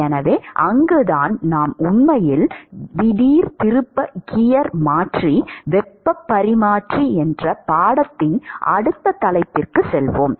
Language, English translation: Tamil, So, that is where we will actually switch gears and go to the next topic of the course which is heat exchanger